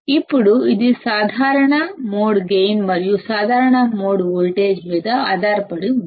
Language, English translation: Telugu, Now it will depend on the common mode gain and the common mode voltage